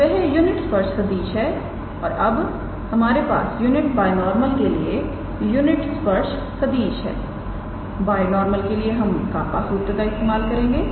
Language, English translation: Hindi, So, that is the unit tangent vector now that we have the unit tangent vector for unit binormal for the binormal we have for the binormal we use the formula kappa